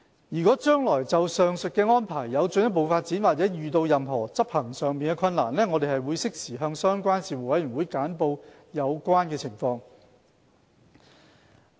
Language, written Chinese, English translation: Cantonese, 若將來就上述安排有進一步發展，或遇到任何執行上的困難，我們會適時向相關事務委員會簡報有關情況。, Should there be further development or any difficulty encountered in the implementation of the above arrangements we will brief the Panels concerned in a timely manner